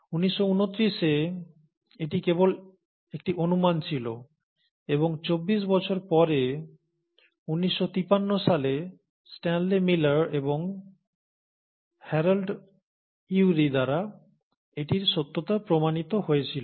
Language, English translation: Bengali, Now this was just a hypothesis way back in nineteen twenty nine and twenty four years later, in 1953, it was actually demonstrated to be true by Stanley Miller and Harold Urey